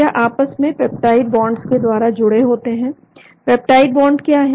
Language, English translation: Hindi, it is held together by peptide bonds, what is the peptide bond